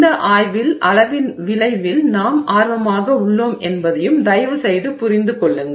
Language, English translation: Tamil, Please also understand that in this study we are interested in effect of size